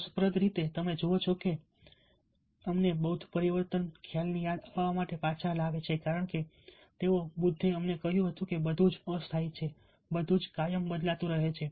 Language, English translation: Gujarati, interestingly, you see that that brings us back to a, reminds us the budhist concept of change because they, budha, told us that everything is impermanent, everything is perpetually changing